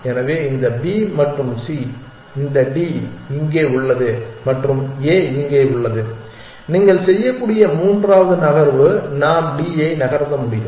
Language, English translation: Tamil, So, this B and C remain like this D is here and A is here, A third move that you can make is we can move D